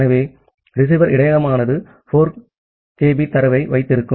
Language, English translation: Tamil, So, the receiver buffer can hold up to 4 kB of data